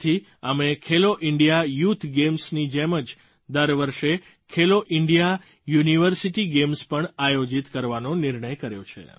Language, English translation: Gujarati, Therefore, we have decided to organize 'Khelo India University Games' every year on the pattern of 'Khelo India Youth Games'